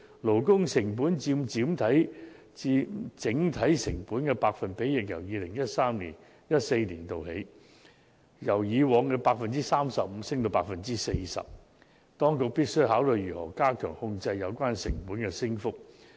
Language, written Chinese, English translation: Cantonese, 勞工成本佔整體成本的百分比亦已由 2013-2014 年度佔 35% 上升至 40%， 當局必須考慮如何加強控制有關成本的升幅。, Furthermore the share of labour cost in total cost has also increased from 35 % in 2013 - 2014 to 40 % . The authorities should consider how to contain the increase in costs